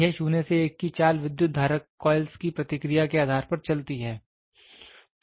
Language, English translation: Hindi, This moves 0 to 1 depending upon the current carrying moving coils response